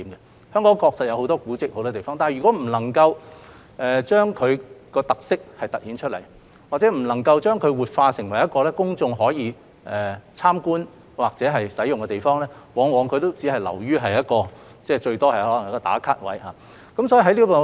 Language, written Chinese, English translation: Cantonese, 香港很多地方確實有很多古蹟，但如果不能夠將其特色突顯出來，或者不能夠把它活化成公眾可以參觀或使用的地方，它往往只能是一個"打卡"點。, Hong Kong does have many historic relics . However if we cannot make their uniqueness stand out or if we cannot revitalize them for public visit or use these relics will only become a place for people to check in on social media